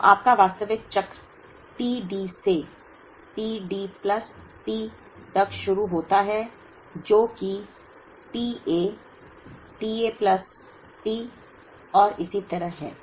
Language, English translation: Hindi, So, your actual cycle starts from t D to t D plus T, which is this as well as t A, t A plus T and so on